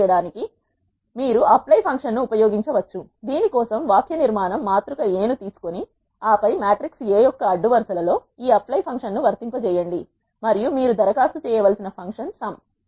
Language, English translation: Telugu, You can use the apply function to do so, the syntax for this is take the matrix A and then apply this apply function across the rows of matrix A and function you need to apply is sum